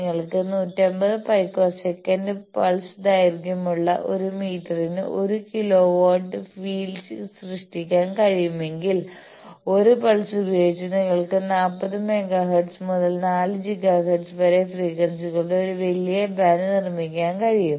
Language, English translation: Malayalam, If you can create a kilo volt per meter order of the field with the pulse duration of 150 picoseconds, so that you can produce by one pulse a huge band of frequencies 40 megahertz to 4 gigahertz